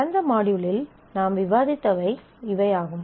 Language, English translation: Tamil, So, these are the items that we had discussed in the last module